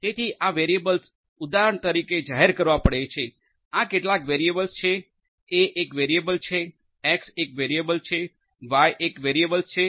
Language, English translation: Gujarati, So, these variables will have to be declared for example, these are some of these variables A is a variable, X is a variable, Y is a variable